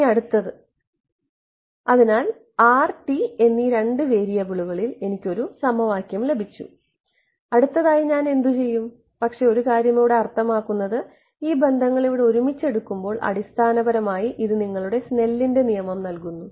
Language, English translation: Malayalam, Now, next is; so, I have got one equation in two variables r and t right what do I do next, but wait I mean one thing before that you notice that this these relations over here these taken together basically give you your Snell’s law